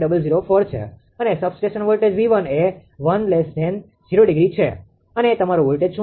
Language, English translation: Gujarati, 004 per unit and substation voltage V 1 this one is 1 angle 0 and what your voltage